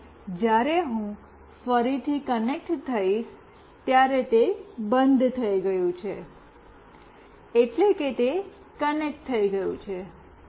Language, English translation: Gujarati, And when I again connect, it has stopped that means it has connected